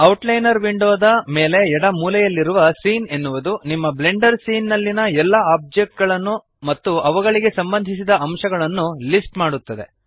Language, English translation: Kannada, Scene at the top left corner of the outliner window, lists all the objects in your Blender scene and their associated elements